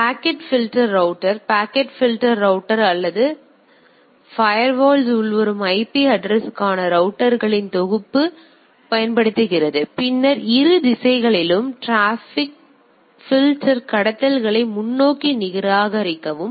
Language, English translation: Tamil, Now, packet filter router packet filter router or packer filter firewall a applies set of rules for incoming IP traffic and then forward the and discard traffics filter traffics on both direction